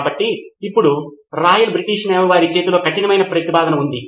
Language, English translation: Telugu, So, now Royal British Navy had a tough proposition in their hand